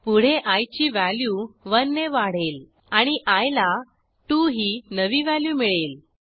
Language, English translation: Marathi, Next, i is incremented by 1 and the new value of i is 2